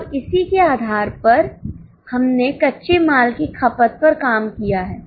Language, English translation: Hindi, Now based on this we have worked out the raw material consumption